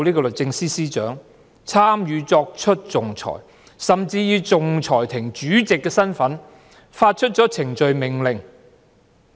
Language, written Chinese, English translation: Cantonese, 律政司司長有份參與作出仲裁，甚至以仲裁庭主席的身份發出程序命令。, The Secretary for Justice even worked as chairman of the arbitration tribunal and issued procedural orders in this capacity